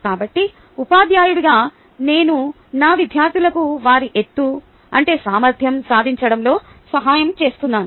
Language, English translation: Telugu, so, as a teacher, i am helping my students achieve their height potential right, so i am playing a great role